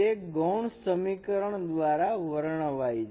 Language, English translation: Gujarati, This is given by this equation